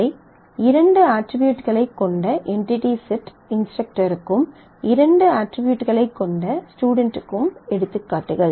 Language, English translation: Tamil, So, these are examples of entity sets instructor with 2 attributes and student with 2 attributes as well